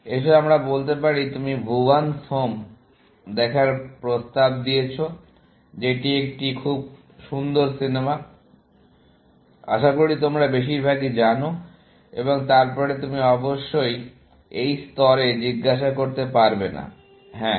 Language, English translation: Bengali, Let us say, you offer to Bhuvan’s Home, which is a very nice movie, as most of you might know, but and then, of course you cannot ask at this level, yes